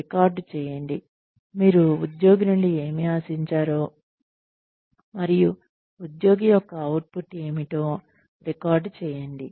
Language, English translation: Telugu, Record, what you expect from the employee, and record what the employee